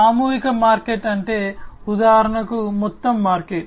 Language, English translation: Telugu, Mass market means, like for instance you know the whole market right